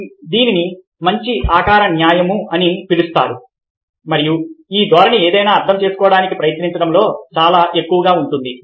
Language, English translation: Telugu, so this is known as the law of good figure and this tendency is very much in a trying to make sense of something